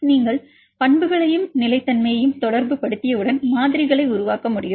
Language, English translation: Tamil, Once you relate the properties and the stability then it is possible to develop models